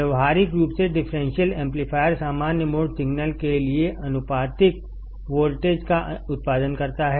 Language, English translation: Hindi, Practically, the differential amplifier produces the output voltage proportional to common mode signal